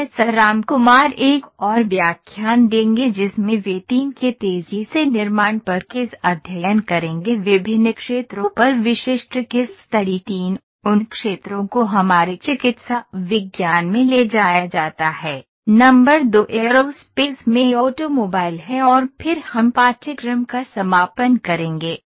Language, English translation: Hindi, Professor Ramkumar will take one more lecture in which he will take the case studies on rapid manufacturing the 3 specific case studies on different fields 3; fields those are taken our medical sciences, number 2 is automobile in aerospace and then we will conclude the course